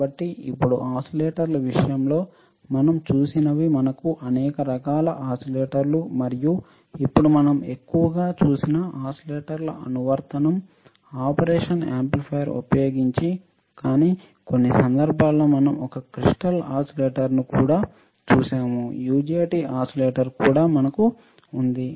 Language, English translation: Telugu, So, now, what we have seen that in case of in case of oscillators, we can have several types of oscillators and now the application of oscillators we have seen mostly in using operation amplifier, but in some cases, we have also seen a crystal oscillator, we have also seen a UJT oscillator, right